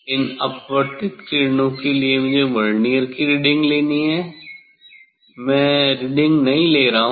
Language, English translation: Hindi, for this refracted rays I have to take the reading of the Vernier one, I am not taking reading